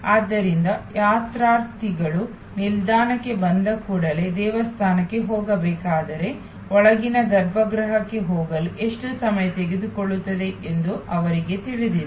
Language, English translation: Kannada, So, pilgrims know as soon as they arrive at the station that when they should go to the temple, they know how long it will approximately take them to go in to the inner sanctum